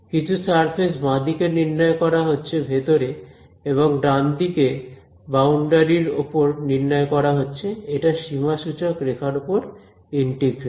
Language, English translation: Bengali, Some surface the left hand side is being evaluated inside and the right hand side is being evaluated on the boundary it is a contour integral